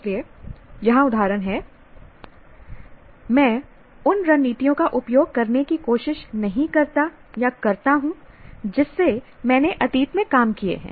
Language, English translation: Hindi, So here examples, I try, do not try to use strategies that I have worked out in the past